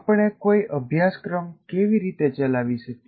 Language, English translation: Gujarati, Now how do we conduct the course